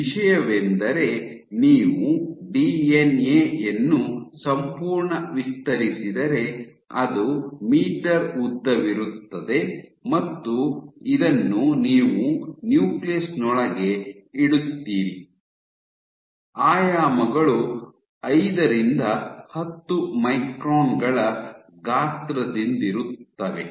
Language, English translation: Kannada, Thing is because you have the entire DNA if you stretch out the DNA, you would have meters long and this you put inside a nucleus, with dimensions ranging from order of 5 to 10 microns gain size